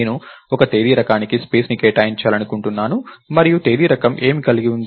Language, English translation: Telugu, I want to allocate space for one Date type and what does the Date type have